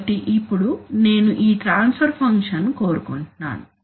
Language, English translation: Telugu, So now I obviously, I want that this transfer function